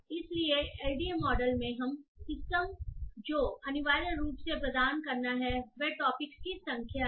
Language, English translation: Hindi, So, in the LDA model what we have to essentially provide to the system is the number of topics